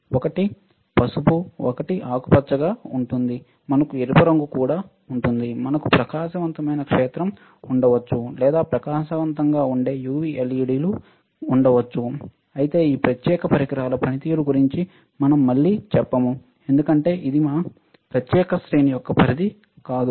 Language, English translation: Telugu, One is yellow right, one is green, we can have red, we can have bright field or bright we can also have UV, LEDS; however, we again do not do not about the functioning of this particular devices, because that is not scope of our particular series